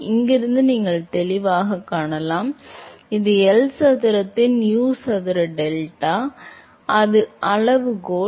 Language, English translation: Tamil, You can clearly see from here, this is U square delta by L square exactly that is the same scaling